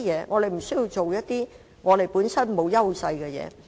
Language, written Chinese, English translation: Cantonese, 我們不需要做一些本身欠缺優勢的事情。, We should not engage in areas in which we lack advantages